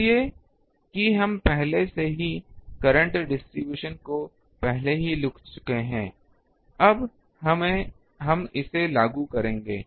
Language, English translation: Hindi, So, that we have already earlier written current distribution now we will put that